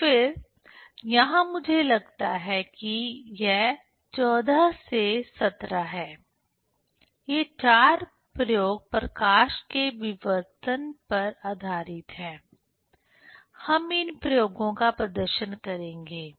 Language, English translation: Hindi, So, then here I think this 14 to 17, these four experiments are based on diffraction of light; we will demonstrate these experiments